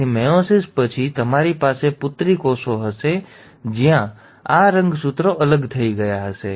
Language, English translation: Gujarati, So after meiosis one, you will have daughter cells where these chromosomes would have segregated